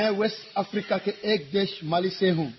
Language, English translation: Hindi, I am from Mali, a country in West Africa